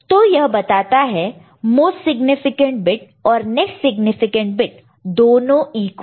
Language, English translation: Hindi, So, that tells that both the most significant bit and next most significant bit they are equal